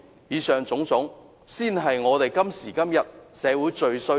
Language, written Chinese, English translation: Cantonese, 以上種種，才是香港社會今時今日最需要的。, All these are what Hong Kong society needs most today